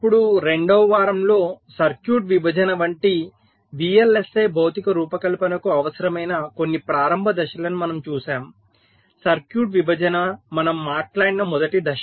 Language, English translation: Telugu, now, during this second week we looked at some of the means, initial steps, that are required for the vlsi physical design, like circuit partitioning, was the first step we talked about